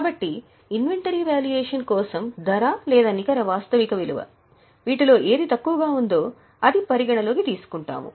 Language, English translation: Telugu, So, for the purpose of valuation, it is the cost or net realizable value whichever is lower